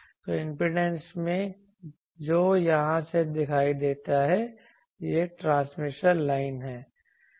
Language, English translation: Hindi, So, the impedance that is seen from here this is the transmission line